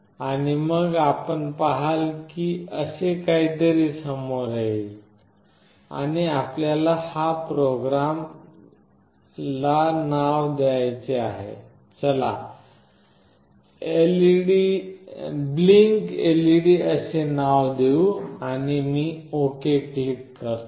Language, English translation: Marathi, And then you see that something like this will come up, and you have to give a name to this program, let us say blinkLED and I click ok